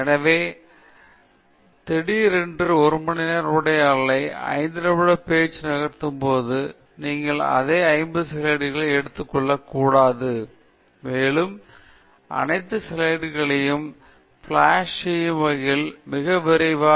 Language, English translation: Tamil, So, but it’s important to remember that when you suddenly move from a one hour talk to a 5 minute talk, you shouldn’t take the same 50 slides, and keep hitting enter very fast, so that you flash all the slides